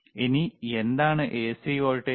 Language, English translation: Malayalam, All right so, what is the voltage